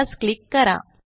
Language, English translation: Marathi, Let me click here